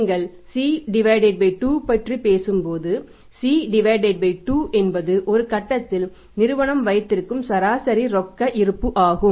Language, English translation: Tamil, This is I and when you talk about the C by 2, so C by 2 is the average cash balance held at a point of time held by the form, average cash balance held by the form